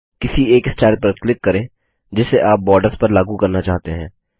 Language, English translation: Hindi, Click on one of the styles you want to apply on the borders